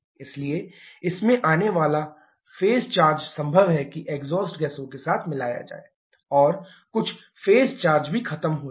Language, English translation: Hindi, So, the phase charge that comes in it is possible for that to get mixed with the exhaust gases and also some phase charge may get lost